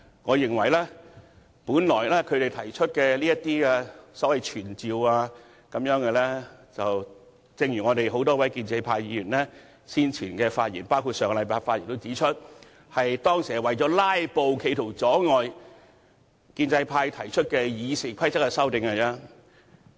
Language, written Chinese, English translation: Cantonese, 我認為他們現時提出的所謂傳召議案，正如多位建制派議員在先前和上周的發言指出，他們當時提出這些議案是為了"拉布"，企圖阻礙建制派提出《議事規則》的修訂。, In my view and as pointed out by a number of Members from the pro - establishment camp in their speeches earlier or last week these so - called summoning motions were proposed as filibusters with an attempt to prevent the pro - establishment camp from proposing the amendments to the Rules of Procedure